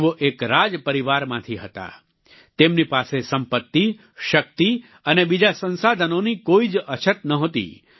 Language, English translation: Gujarati, She was from a royal family and had no dearth of wealth, power and other resources